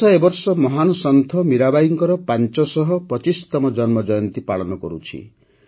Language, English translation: Odia, This year the country is celebrating the 525th birth anniversary of the great saint Mirabai